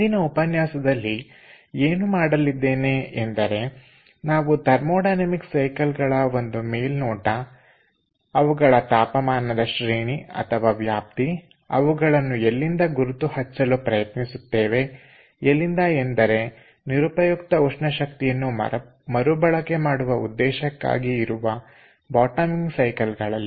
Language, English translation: Kannada, so in todays lecture, to start with what we will do, we will have an overview of the thermodynamic cycles, their temperature range and from there we will try to figure out which are the bottoming cycles suitable for waste heat recovery purpose